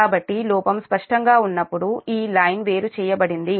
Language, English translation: Telugu, so this line is isolated when the fault is clear